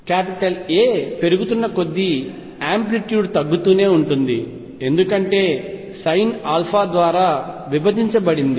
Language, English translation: Telugu, Amplitude will keep going down as alpha increases, because sin alpha is divided by alpha